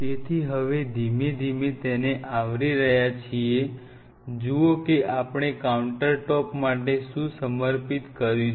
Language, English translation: Gujarati, So, see now slowly we are covering the space what we have dedicated for the countertop